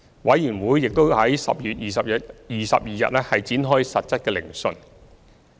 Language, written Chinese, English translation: Cantonese, 委員會已於10月22日展開實質聆訊。, COI commenced its substantive hearing on 22 October